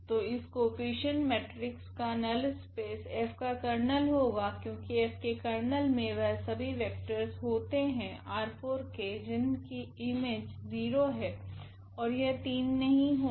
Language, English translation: Hindi, So, the null space here of this coefficient matrix will be the Kernel of F, because what is the Kernel of F all these vectors here from R 4 whose image is 0 they are not 3